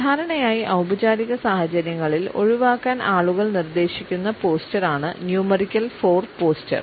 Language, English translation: Malayalam, Numerical 4 is normally the posture which people are advised to avoid during formal situations